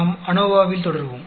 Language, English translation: Tamil, We will continue on ANOVA